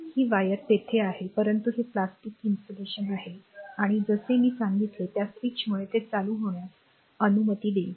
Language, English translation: Marathi, So, this wire is there, but it is your plastic insulation right and that switch I told you it will allow this allow the current